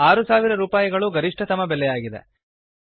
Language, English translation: Kannada, The maximum cost is rupees 6000